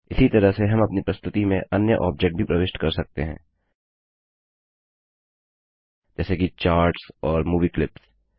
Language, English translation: Hindi, In a similar manner we can also insert other objects like charts and movie clips into our presentation